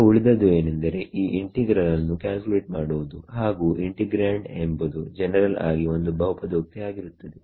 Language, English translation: Kannada, Now, what remains is to calculate this integral and the integrand is a polynomial in general